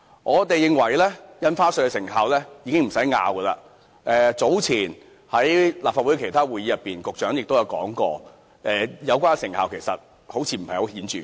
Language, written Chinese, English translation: Cantonese, 我們都清楚印花稅措施是否有成效，早前，在立法會其他會議上，局長亦提到有關成效似乎不太顯著。, During the other meetings of the Legislative Council the Secretary also mentioned earlier that the effectiveness of the measure seemed to be not very conspicuous